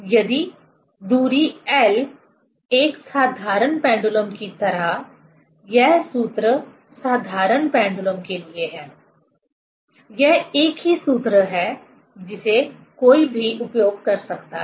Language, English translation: Hindi, If distance L, see just like a simple pendulum; this formula is for simple pendulum, it is same formula which one can use